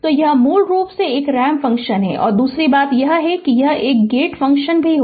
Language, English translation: Hindi, So, it is basically a ramp function and your another thing is that is a gate function right